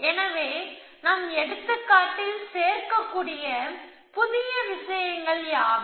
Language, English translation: Tamil, So, what are the new things which can be added in our example